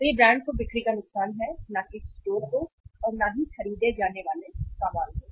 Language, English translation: Hindi, So it is a loss of sale to the brand, not to the store and do not purchase item, not at all purchase item